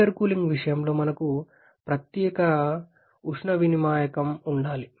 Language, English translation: Telugu, Whereas in case of intercooling we need to have a separate heat exchanger